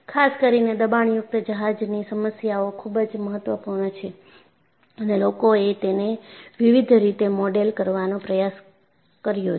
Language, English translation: Gujarati, Particularly, the pressure vessel problem is very very important and people have tried to model this in various ways